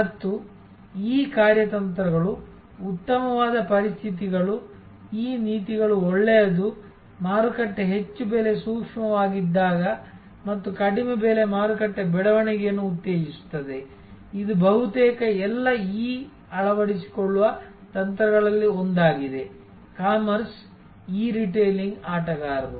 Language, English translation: Kannada, And the conditions under which this strategies good, this policies good is, when the market is highly price sensitive and there low price stimulates market growth, which is one of the strategies being adopted by almost all e commerce, e retailing players